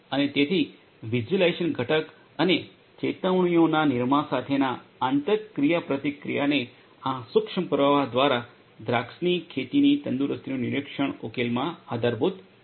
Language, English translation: Gujarati, And so interaction with the visualization component and generation of alerts this is what is supported in this vineyard health monitoring solution by micro stream